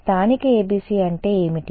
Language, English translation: Telugu, What is the meaning of a local ABC